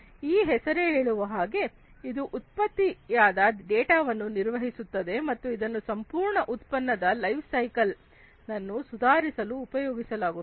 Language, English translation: Kannada, As this name suggests, it manages all the generated data and that is used for improving the life cycle product lifecycle overall